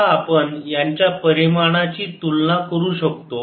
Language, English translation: Marathi, now we can compare the dimensions